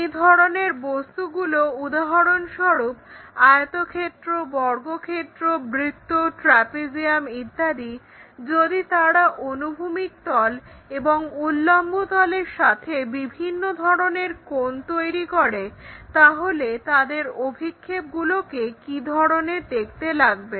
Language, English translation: Bengali, So, such kind of objects for example, like rectangle, square, circle, trapezium and such kind of planes if they are making different kind of angles on horizontal with respect to the horizontal planes and vertical planes how do their projections really look like